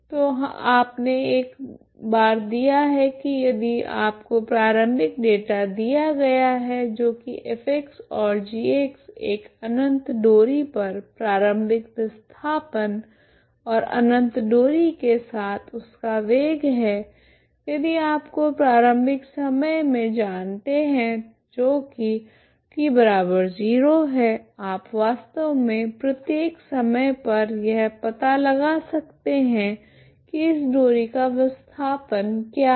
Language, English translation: Hindi, So you once you have given if you are given initial data that is F X and G X on an infinite string initial displacement and its velocity of the string all along the infinite string if you know it that at initial time that is the T equal to zero you can actually find for all times what is the displacement of this string